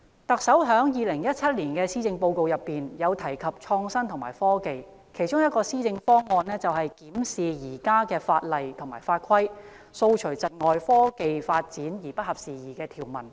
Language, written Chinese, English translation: Cantonese, 特首在2017年施政報告就創新及科技提出若干施政方向，其中一個就是"檢視現行法例及法規，掃除窒礙創科發展而不合時宜的條文"。, In the 2017 Policy Address the Chief Executive put forward a number of policy directions on innovation and technology . One of them is to review existing legislation and regulations so as to remove outdated provisions that impede the development of innovation and technology